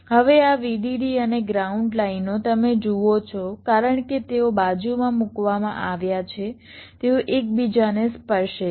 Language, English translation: Gujarati, now this vdd and ground lines, you see, since the placed side by side they will be touching one another